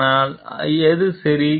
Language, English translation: Tamil, But is it ok